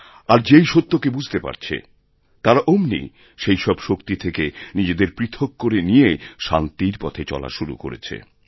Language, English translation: Bengali, And as they understand the truth better, they are now separating themselves from such elements and have started moving on the path of peace